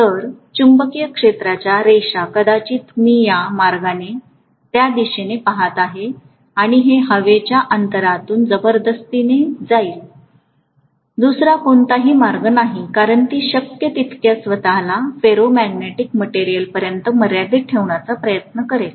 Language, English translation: Marathi, So the magnetic field lines probably I can look at it this way that it is going to go around like this and it will go through the air gap also forcefully, there is no other way because it will try to confine itself as much as possible to the ferromagnetic material